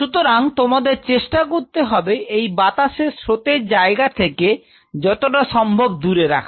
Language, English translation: Bengali, So, try to keep it away from that air current zone and as far as possible